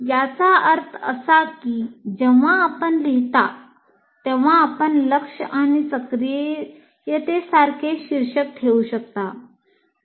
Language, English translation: Marathi, That means when you are writing, you can actually put title like attention and activation